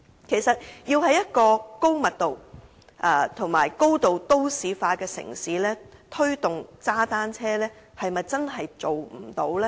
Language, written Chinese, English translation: Cantonese, 其實，要在一個高密度和高度都市化的城市推動踏單車，是否真的不可行呢？, Actually is it really impossible to promote cycling in a densely populated and highly urbanized city?